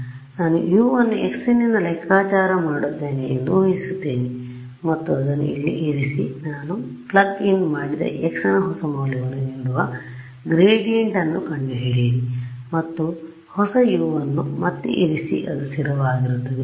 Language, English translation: Kannada, So, I assume U to be I calculate U from x assume it to be constant and put it in over here find out the gradient which gives me a new value of x that x, I plug in and get a new U put it back in keep it constant